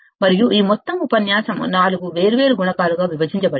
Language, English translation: Telugu, And this whole entire lecture was divided into 4 different modules